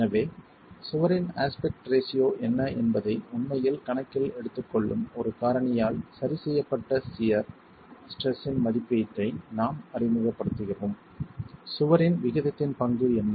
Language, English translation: Tamil, So, we introduce an estimate of the shear stress corrected by a factor that actually takes into account what the aspect ratio of the wall is, what is the role of the aspect ratio of the wall is